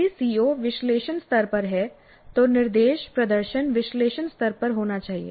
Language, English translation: Hindi, If the COE is at analyze level, the instruction, the demonstration must be at the analyzed level